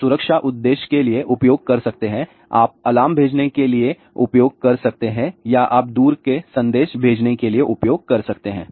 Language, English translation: Hindi, You can use a for security purpose, you can use for sending alarm or you can use for distress messaging and so on